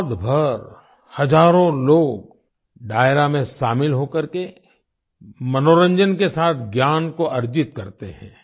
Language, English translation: Hindi, Throughout the night, thousands of people join Dairo and acquire knowledge along with entertainment